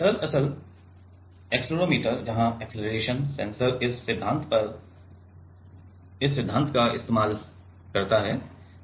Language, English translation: Hindi, Actually, accelerometer where acceleration sensor uses this principle